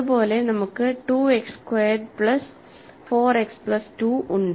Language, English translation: Malayalam, Similarly, we have 2 X squared plus 4 X plus 2